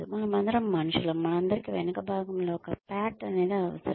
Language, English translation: Telugu, We are all human beings, and we all need a pat on the back